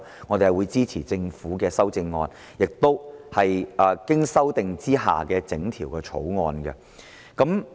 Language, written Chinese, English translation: Cantonese, 我們會支持政府的修正案，以及經修訂的整項《條例草案》。, We will support the Governments amendments and the whole Bill as amended